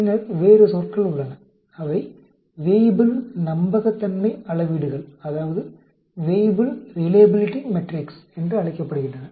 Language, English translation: Tamil, Then there are other terms, they are called Weibull Reliability Metrics